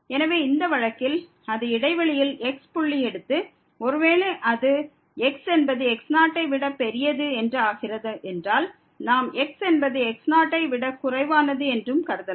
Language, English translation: Tamil, So, in this case if it take to point in the interval and suppose that is bigger than we can also assume that is less than